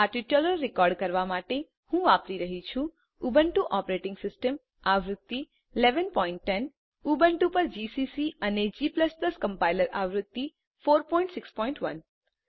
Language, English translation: Gujarati, To record this tutorial, I am using, Ubuntu operating system version 11.10 gcc and g++ Compiler version 4.6.1 on Ubuntu